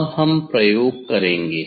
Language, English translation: Hindi, Now, we will do experiment